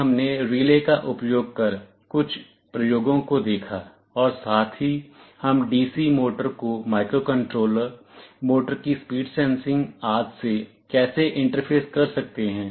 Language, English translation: Hindi, Then we saw some experiments using relays and also how we can interface DC motor to the microcontroller, speed sensing of the motor, and so on